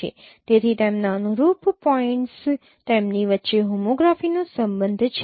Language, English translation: Gujarati, So they are corresponding points there is a relationship of homography among themselves